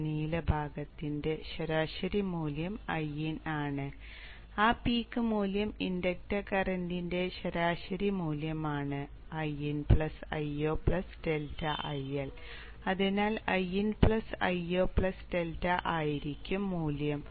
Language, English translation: Malayalam, The average value of this blue part is IN and the peak value is you know the average value of the inductor current is I in plus I0 plus delta IL